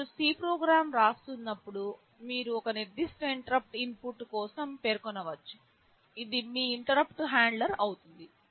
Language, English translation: Telugu, When you are writing a C program you can specify for a particular interrupt input this will be your interrupt handler